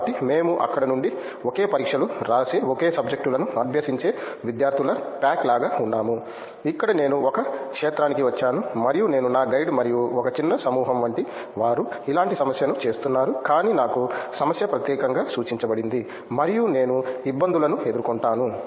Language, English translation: Telugu, So, we were like a pack of students studying the same subjects writing the same exams from there, here I come to a field and which I am me and my guide and like a small set of people might be doing a similar problem, but the problem to me is specifically pointed out to me and I face difficulties